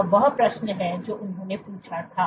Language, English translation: Hindi, this is the question that they asked